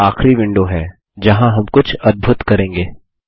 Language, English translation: Hindi, This final window is where we will do the magic